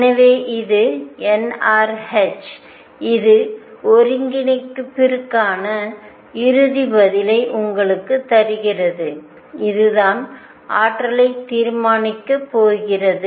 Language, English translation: Tamil, So, this is n r h this giving you the final answer for the integral and this is what is going to determine the energy